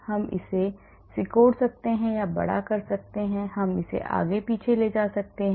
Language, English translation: Hindi, We can shrink it or enlarge it we can move it forward or backward